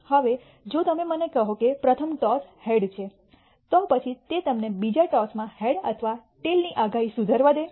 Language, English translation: Gujarati, Now if you tell me that the first toss is a head then does it allow you to improve the prediction of a head or a tail in the second toss